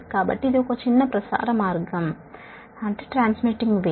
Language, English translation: Telugu, so this is a short line model